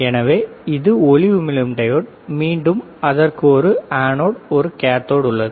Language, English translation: Tamil, So, this is light emitting diode, again it has an anode and a cathode